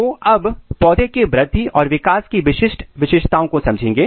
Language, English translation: Hindi, So, now, we will come to the typical characteristic feature of plant growth and development